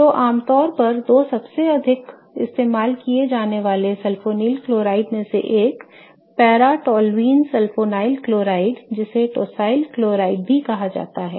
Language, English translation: Hindi, Okay, so, two of the most commonly used sulfonyl chlorides are one is paratolulin sulfonyl chloride also called as tossil chloride, okay